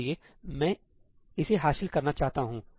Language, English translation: Hindi, So, I want to achieve that now